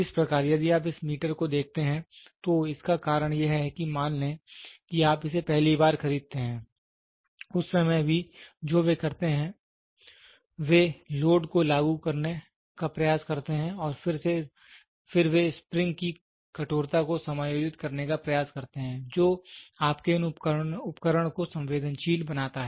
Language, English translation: Hindi, So, this one if you see this meter, this because suppose let us assume you buy it for the first time that time also what they do is, they try to apply load and then they try to adjust the stiffness of the spring the makes your that the instrument is sensitive